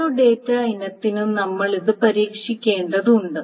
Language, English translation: Malayalam, Now we have to test it for each data item